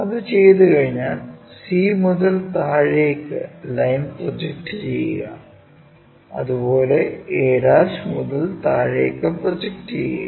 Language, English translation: Malayalam, Once that is done, project line, project line from c all the way down, and project from a' also all the way down